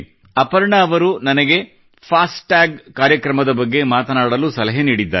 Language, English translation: Kannada, Aparna ji has asked me to speak on the 'FASTag programme'